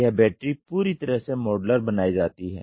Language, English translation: Hindi, This battery is completely made modular